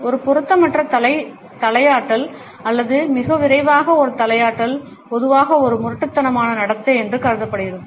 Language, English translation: Tamil, An inappropriate head nodding or too rapid a head nodding is perceived normally as a rude behavior